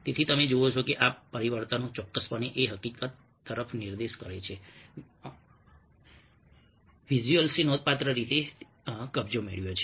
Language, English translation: Gujarati, so you see that these transformations definitely point to the fact that visuals have taken over in a significant way